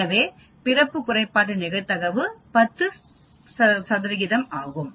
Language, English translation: Tamil, So, the probability of a birth defect is 10 percent